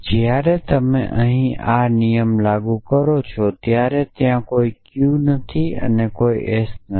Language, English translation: Gujarati, So, when you apply this same rule here there is no Q and there is no S